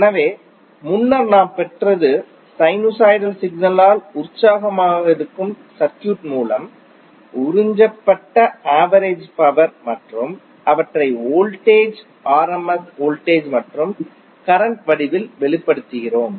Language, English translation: Tamil, So earlier what we derive was the average power absorbed by the circuit which is excited by a sinusoidal signal and we express them in the form of voltage rms voltage and current